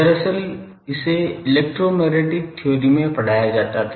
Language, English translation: Hindi, Actually it was taught in electromagnetic theory